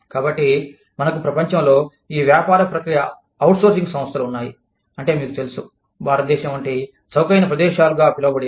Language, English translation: Telugu, So, we have these, business process outsourcing organizations, in the world, that are, you know, moving into, say, so called cheaper locations, like India